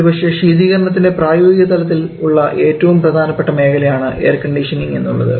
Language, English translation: Malayalam, Probably, the most explored application area of refrigeration is in the field of air conditioning